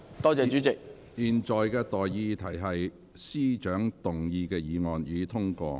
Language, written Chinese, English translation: Cantonese, 我現在向各位提出的待議議題是：財政司司長動議的議案，予以通過。, I now propose the question to you and that is That the motion moved by the Financial Secretary be passed